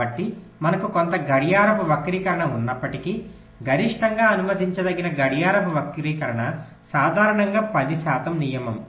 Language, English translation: Telugu, so so, although we can have some clock skew, but maximum allowable clock skew is typically, as a rule of thumb, ten percent